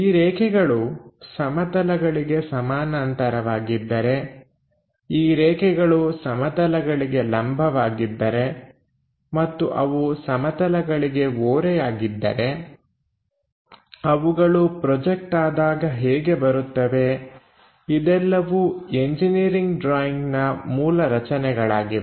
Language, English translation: Kannada, If they are parallel to the planes, if they are perpendicular to the planes, and if they are inclined to the planes these are the basic construction for any engineering drawing